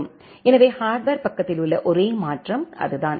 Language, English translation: Tamil, So, the only modification in the hardware side is that